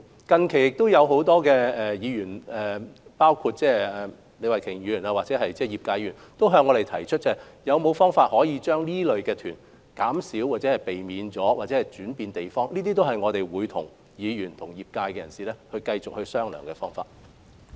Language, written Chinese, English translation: Cantonese, 近期，很多議員，包括李慧琼議員或業界的議員，也曾向我們提出可否減少或避免這類入境旅行團，或把旅客分流到其他地方，這些都是我們會與議員及業界人士繼續商討的方向。, Recently many Legislative Council Members including Ms Starry LEE and Members representing the tourism sector have put forward the proposals of reducing or even banning these inbound tour groups or diverting these visitors to other places . We will continue to discuss with Legislative Council Members and members of the tourism sector along these directions